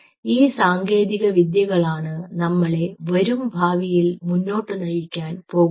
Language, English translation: Malayalam, these are futuristic technologies, but these are the technologies which we will drive the future